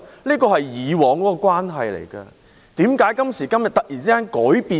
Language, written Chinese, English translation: Cantonese, 這是大家以往的關係，為甚麼今時今日會突然完全改變？, This is the relationship established by us in the past why is it completely altered today all of a sudden?